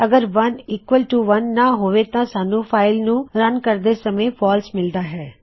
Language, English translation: Punjabi, If 1 is not equal 1, what we should get when we run our file is False